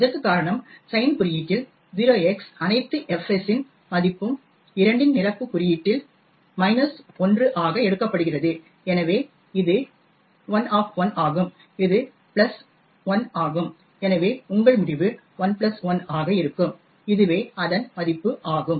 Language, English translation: Tamil, The reason for this is that in sign notation this value of 0x all fs is taken as minus 1 in two's complement notation therefore it is l minus of minus 1 which is plus 1 and therefore your result would be l plus 1 which is this value